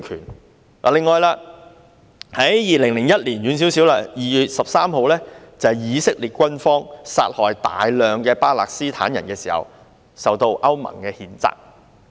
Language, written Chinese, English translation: Cantonese, 此外，在比較遠的2001年2月13日，以色列軍方殺害大量巴勒斯坦人時受到歐盟譴責。, Moreover on 13 February 2001 which is farther from now the Israeli army was condemned by EU for killing a large number of Palestinians . Think about this